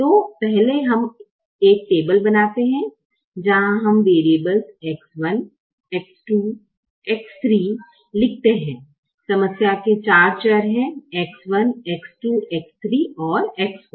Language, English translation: Hindi, so first we create a table where we write the variables x, one, x, two, x